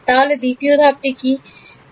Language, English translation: Bengali, What would be step 2